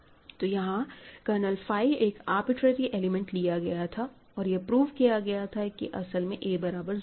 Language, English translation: Hindi, So, I have taken an arbitrary element of kernel phi and I have concluded that a is 0